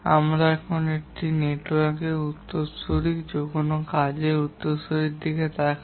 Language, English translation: Bengali, We now look at the successor of a network, successor of a task